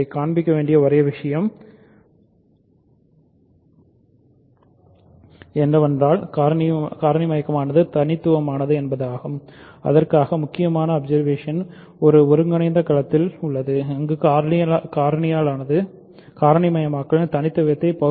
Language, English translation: Tamil, Only thing to show is that factoring is unique and for that the crucial observation is in an integral domain where factoring terminates to prove uniqueness of the factorization